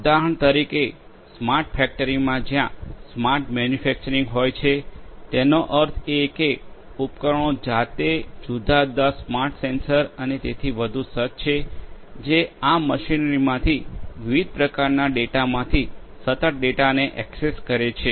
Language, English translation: Gujarati, For example, in a smart factory in a smart factory where there is smart manufacturing; that means, the equipments themselves are fitted with different smart sensors and so on, which continuously access the data from data of different types from this machinery